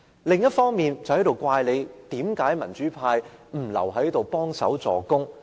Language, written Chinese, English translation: Cantonese, 另一方面，建制派又責怪民主派為何不留下來協助死守。, On the other hand it blames the pro - democracy camp for not staying in the Chamber to help maintain the quorum